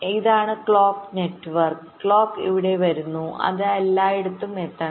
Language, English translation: Malayalam, this is the clock network, the clock is coming here, it must reach everywhere